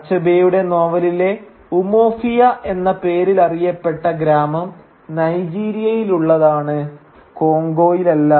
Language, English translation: Malayalam, Though this village in Achebe’s novel titled or rather known as Umofia is located in Nigeria and not in Congo